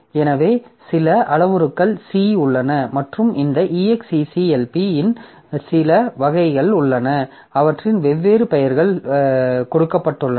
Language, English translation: Tamil, So, there are certain parameters here and there are some variants of this exec VE and they have been given different names